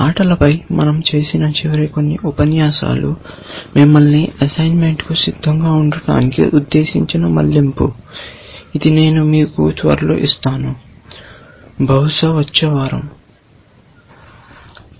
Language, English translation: Telugu, So, the last few, the last few lectures that we had on games was a bit of a diversion intended to get you ready for the assignment, which you will soon give you, possibly next week